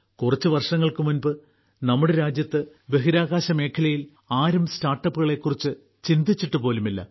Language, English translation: Malayalam, Till a few years ago, in our country, in the space sector, no one even thought about startups